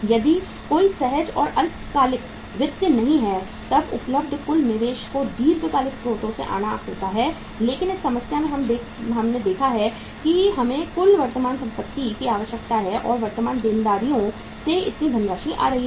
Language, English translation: Hindi, If there is no spontaneous or short term finance available then total investment has to come from the long term sources but in this problem we have seen that we require this much total current assets and this much of the funds are coming from the current liabilities